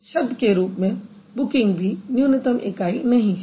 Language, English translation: Hindi, So, booked as a whole is not the minimal unit